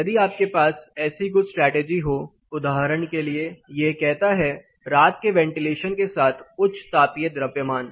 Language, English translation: Hindi, If you have some of these strategies for example, this says high thermal mass with night ventilation